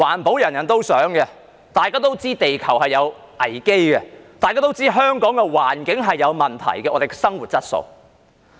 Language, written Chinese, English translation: Cantonese, 所有人也想環保，大家也知道地球有危機，大家也知道香港的環境有問題，這關乎我們的生活質素。, Everyone wishes to protect the environment . We all know that the earth is in crisis and we all know that there are problems with the environment in Hong Kong and this has a bearing on our quality of life